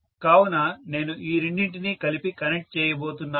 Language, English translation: Telugu, I have to connect this and this together